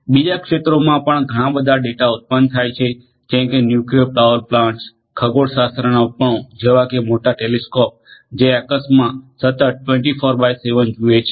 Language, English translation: Gujarati, Other fields also generate lot of data nuclear power plants, astronomical devices such as big big telescopes, which look into the sky continuously 24x7